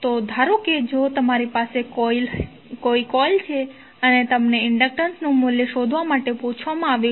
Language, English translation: Gujarati, So, suppose if you have a coil like this and you are asked to find out the value of inductance